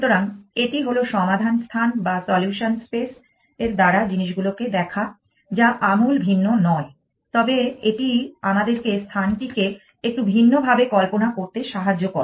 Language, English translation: Bengali, So, that is the solutions space way of looking at things not radically different, but it sort of helps us to visualize the space a little bit different